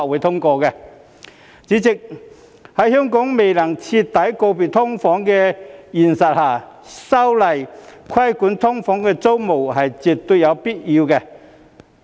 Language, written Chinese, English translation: Cantonese, 代理主席，香港在未能徹底告別"劏房"的現實下，修例規管"劏房"租務是絕對有必要的。, Deputy President under the reality that Hong Kong cannot thoroughly bid farewell to SDUs it is absolutely necessary to amend the legislation for regulating the tenancies of SDUs